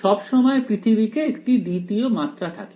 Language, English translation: Bengali, There is always a second dimension in world somehow